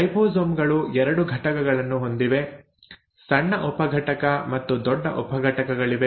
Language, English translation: Kannada, The ribosomes have 2 units; there is a small subunit and a large subunit